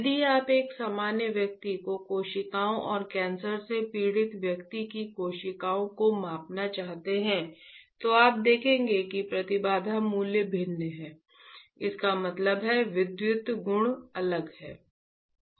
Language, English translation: Hindi, If you want to measure the cells from a normal person and cells from the person suffering from cancer, you will see that the impedance values are different; that means, the electrical properties are different